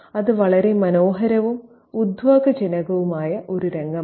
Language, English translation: Malayalam, It's a very picturesque and evocative scene